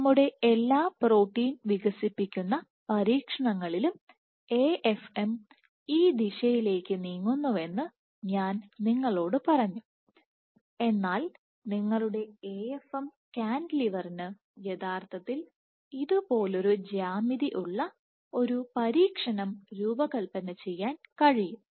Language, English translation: Malayalam, So, in all our protein unfolding experiments, I told you the AFM is moved in this direction, but it is possible to design an experiment in which your AFM cantilever has actually a geometry like this